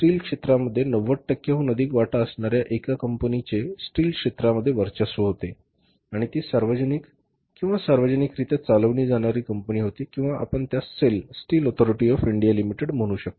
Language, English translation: Marathi, In India the steel sector was dominated by one company which was having more than 90% of the share in the steel sector and that was a public publicly held company or maybe you can call it as a government company say a sale, Steel of India limited